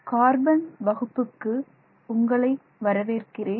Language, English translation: Tamil, Hello, welcome to this class on carbon